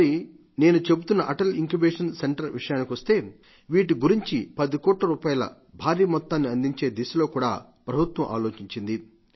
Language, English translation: Telugu, And when I talk of Atal Incubation Centres, the government has considered allocating the huge sum of 10 crore rupees for this also